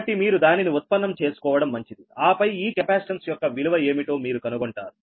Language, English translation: Telugu, so better is that you have to derive that and then you find out what is the value of this capacitance right now